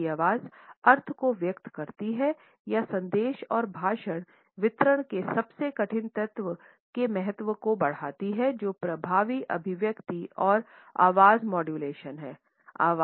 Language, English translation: Hindi, Human voice conveys the meaning or message and heightens the importance of the most difficult element of a speech delivery that is effective articulation and voice modulation